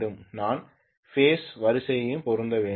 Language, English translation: Tamil, I have to match the phase sequence as well